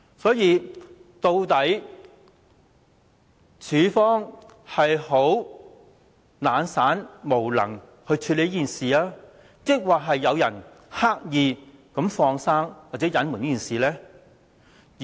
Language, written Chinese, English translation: Cantonese, 所以，究竟當局在處理這事情上是懶散、無能，抑或是有人刻意"放生"或隱瞞？, Hence are the authorities being lazy or incompetent in dealing with this issue? . Or are some people deliberately letting someone off the hook or covering up?